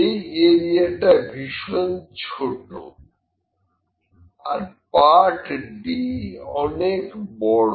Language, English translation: Bengali, This area was too small here this area and the part d is very big